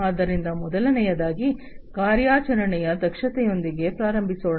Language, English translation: Kannada, So, the first one will start with is operational efficiency